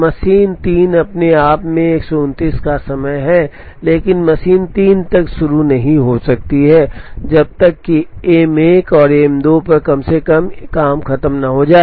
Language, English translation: Hindi, Machine 3 by itself has a time of 129, but machine 3 cannot begin till at least one job has finished on M 1 and M 2